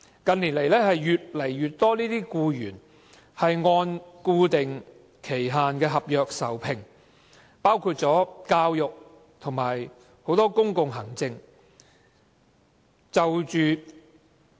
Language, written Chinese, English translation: Cantonese, 近年來，越來越多僱員按固定期限合約受聘，包括教育和很多公共行政的職位。, In recent years an increasing number of employees are employed on fixed term contracts including teaching and public administration positions